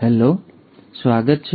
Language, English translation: Gujarati, Hello and welcome back